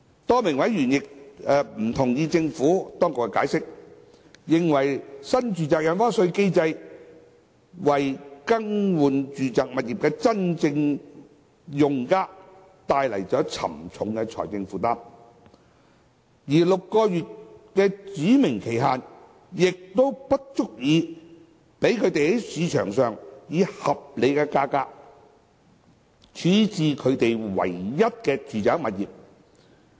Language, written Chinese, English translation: Cantonese, 多名委員不同意政府當局的解釋，認為新住宅印花稅機制為更換住宅物業的真正用家帶來沉重的財政負擔，而6個月的指明期限亦不足以讓他們在市場上以合理價格處置其唯一的住宅物業。, A number of members do not agree with the Administrations explanation and maintain the view that the NRSD regime has imposed heavy financial burden on genuine users in replacing their residential properties and that the six - month specified period is not enough for them to dispose of their only other residential property in the market at a reasonable price